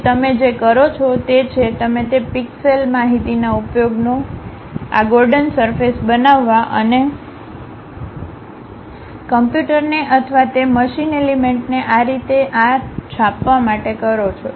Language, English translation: Gujarati, Then what you do is, you use those pixel information's try to construct these Gordon surfaces and teach it to the computer or to that machine element print it in this way